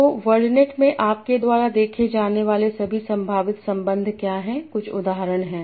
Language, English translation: Hindi, So what are all the possible relations that you see in wordNet